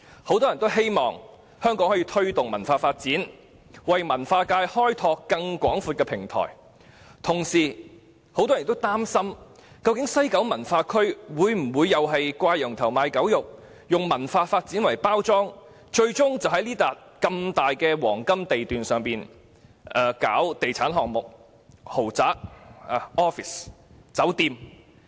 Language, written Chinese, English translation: Cantonese, 很多人希望香港可以推動文化發展，為文化界開拓更廣闊的平台，但亦同時擔心西九文化區的發展會否"掛羊頭賣狗肉"，以文化發展作包裝，最終只是在這幅廣闊的黃金地段發展地產項目，例如豪宅、辦公室、酒店等。, Many people are looking forward to promoting cultural development in Hong Kong and expanding the platform for the cultural sector . On the other hand they are worried that the development of WKCD may be crying up wine and selling vinegar . Under the disguise of cultural development it may end up being a real estate project with luxury flats offices and hotels built on this piece of large prime site